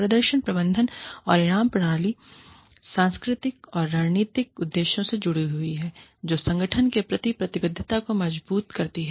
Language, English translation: Hindi, The performance management and reward systems, are linked with cultural and strategic objectives, that strengthen the commitment to the organization